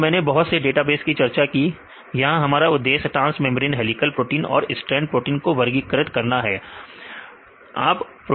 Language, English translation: Hindi, So, I have discussed various data bases, here our aim is to classify transmembrane helical and strand proteins right